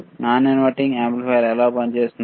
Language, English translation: Telugu, How non inverting amplifier operates